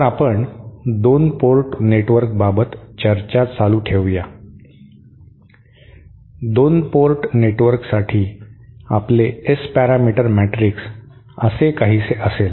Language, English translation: Marathi, So let us continue the discussion for 2 port network soÉ For a 2 port network our S parameter matrix will be something like this